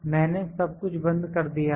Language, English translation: Hindi, I have locked everything